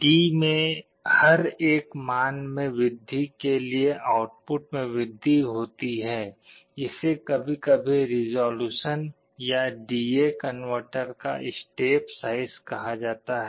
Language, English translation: Hindi, This increase in output for every one value increase in D is sometimes called resolution or the step size of a D/A converter